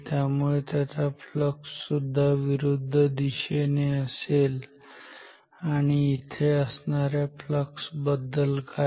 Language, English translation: Marathi, So, their flux will also be in the opposite direction and what about these flux here